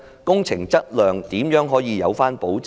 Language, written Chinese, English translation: Cantonese, 工程質量如何可以有保證？, How can there be assurances for the quality of works?